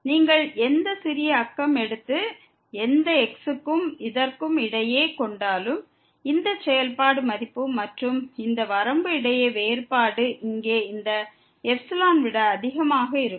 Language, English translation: Tamil, Whatever small neighborhood you take and any between this, the difference between the function value and this limit will exceed than this epsilon here